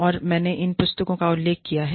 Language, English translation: Hindi, And, i have referred to, these books